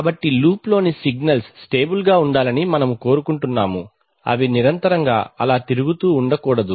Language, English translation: Telugu, So we want that signals in the loop should be stable, it is not that they should be continuously moving around